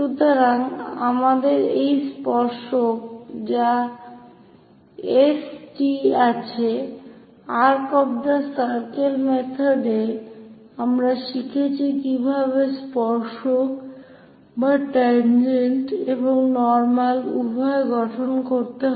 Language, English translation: Bengali, So, we have this tangent S T, arc of circle method, and we have learnt how to construct both tangent and normal